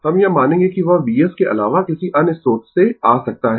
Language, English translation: Hindi, We will assume that which may come from a source other than V s